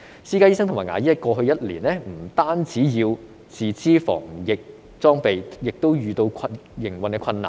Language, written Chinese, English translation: Cantonese, 私家醫生和牙醫在過去一年不但要自資防疫裝備，亦遇到營運的困難。, In the past year not only were private doctors and dentists required to finance anti - epidemic equipment themselves they also encountered operational difficulties